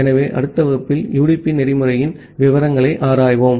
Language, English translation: Tamil, So, in the next class, we will look into the details of the UDP protocol